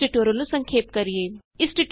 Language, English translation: Punjabi, We will summarize the tutorial now